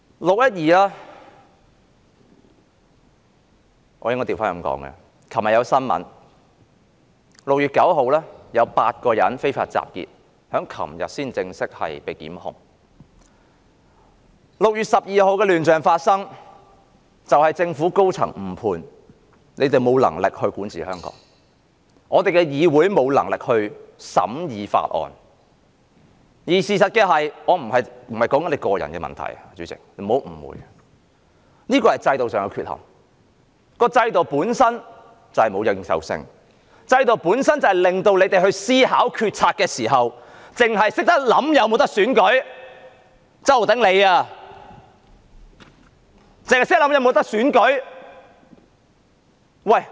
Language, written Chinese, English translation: Cantonese, 根據新聞報道 ，6 月9日有8人昨天被正式檢控非法集結 ；6 月12日發生亂象是因為政府高層誤判，他們沒有能力管治香港，議會也沒有能力審議法案，而事實上……主席，不要誤會，我說的並不是你個人的問題，我說的是制度上的缺陷，制度本身沒有認受性，以致建派議員他們思考決策時，只想到是否可以進行選舉，就像周浩鼎議員一樣。, According to the news reports eight persons were formally prosecuted yesterday for unlawful assembly on 9 June . Chaos erupted on 12 June owing to the misjudgment by senior government officials . They lack the ability to govern Hong Kong and this Council lacks the ability to scrutinize bills and in fact President do not be mistaken I am not talking about problems related to you personally but about the deficiencies of the system